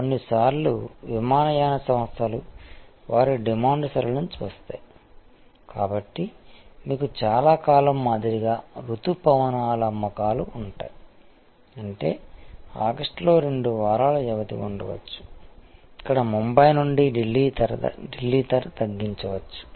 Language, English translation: Telugu, Sometimes airlines looking at their demand pattern, so like many time you have monsoon sale; that means, there may be a two weeks period in August, where the Bombay Delhi price may be slashed